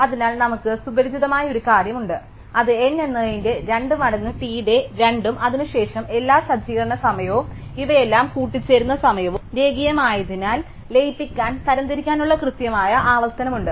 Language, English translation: Malayalam, So, we have a familiar thing which is T of n is 2 times T of n by 2 and then because all the setting up time and all these combining time is linear, we have exactly the recurrence for merge sort